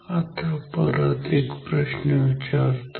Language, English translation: Marathi, So, now, let us ask another question